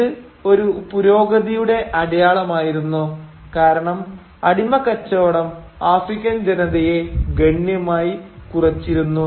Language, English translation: Malayalam, And this was a sign of progress because the slave trade had considerably depleted the African population